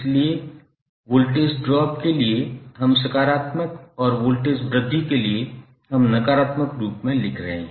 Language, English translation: Hindi, So, for voltage drop we are writing as positive and voltage rise we are writing as negative